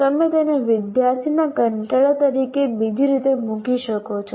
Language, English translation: Gujarati, You may put it in another way, student boredom